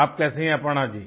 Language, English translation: Hindi, How are you, Aparna ji